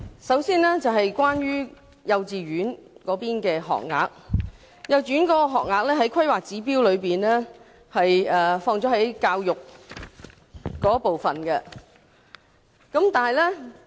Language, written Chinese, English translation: Cantonese, 首先，關於幼稚園的學額，幼稚園學額在《香港規劃標準與準則》中屬於教育部分。, Firstly for standard concerning the number of kindergarten places it falls under the section of Education Facilities in the Hong Kong Planning Standards and Guidelines HKPSG